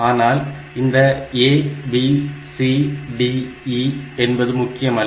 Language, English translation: Tamil, So, this A, B, C, D, E does not matter